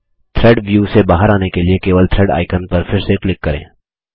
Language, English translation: Hindi, To come out of the Thread view, simply click on the Thread icon again